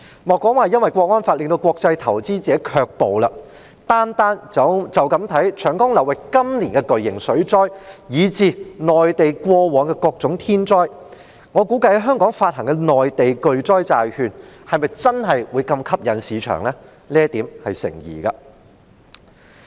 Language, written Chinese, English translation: Cantonese, 莫說《港區國安法》令國際投資者卻步，單看長江流域今年的巨型水災，以至內地過往的各種天災，我估計在香港發行的內地巨災債券在市場上是否真的會如此具吸引力，這點頗成疑問。, Simply considering the catastrophic floods in the Yangtze River basin this year and various natural disasters which happened in the Mainland before I guess it is rather doubtful whether the Mainland catastrophe bonds to be issued in Hong Kong will really be so attractive in the market let alone the Hong Kong National Security Law which has frightened off international investors